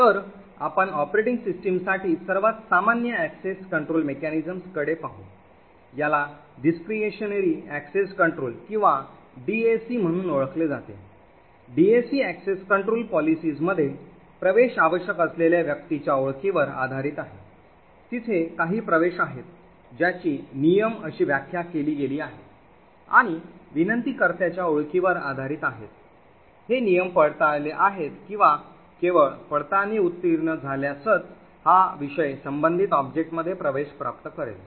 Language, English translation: Marathi, So we will look at one of the most common access control mechanism for the operating system, this is known as the discretionary access control or DAC, in DAC access control policies, the access is based on the identity of a requester, there are some access rules that are defined and based on the identity of the requester, these rules are verified and only if the verification passes only then will this requester which is the subject would get access to the corresponding object